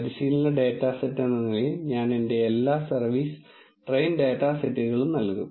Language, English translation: Malayalam, As a training data set I will give all my service train dataset